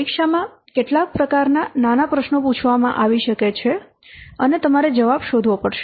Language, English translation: Gujarati, So in the examination, some these types of small questions might be asked and you have to find out the answer